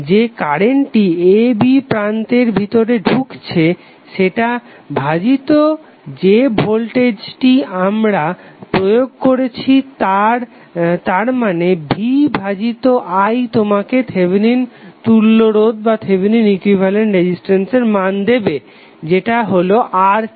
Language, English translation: Bengali, Whatever the current which is flowing inside the terminal a b divided the voltage which you are applying then v naught divided by I naught would be giving you the value of Thevenin equvalent resistance that is RTh